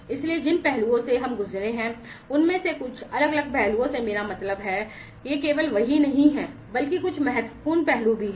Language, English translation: Hindi, So, those aspects we have gone through some of the different aspects I mean these are not the only ones, but some of the important ones we have gone through